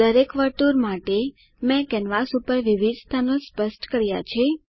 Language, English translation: Gujarati, For each circle, I have specified different positions on the canvas